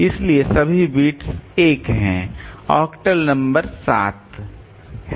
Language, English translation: Hindi, So the octal number is seven